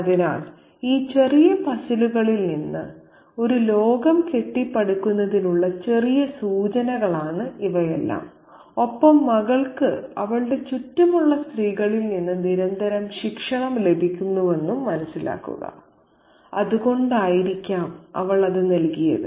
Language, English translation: Malayalam, So, all these things are minor cues for us to pick up and kind of construct a world out of these little puzzles and understand that the daughter is being constantly disciplined subtly by the women folk around her, which is probably why she has given up all her male companions